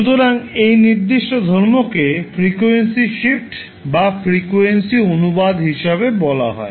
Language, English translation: Bengali, So this particular property is called as frequency shift or frequency translation